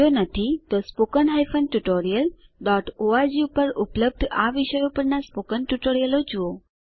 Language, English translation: Gujarati, If not please see the spoken tutorial on these topics available at spoken hyphen tutorial dot org